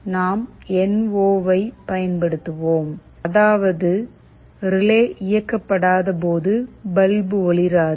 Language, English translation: Tamil, We will be using NO, means when the relay is not switched ON the bulb will not glow